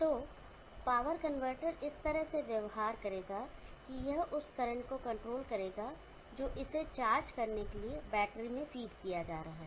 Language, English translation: Hindi, So the power converter will behave in such a manner that it will control the current that that is being fed into the battery to charge it up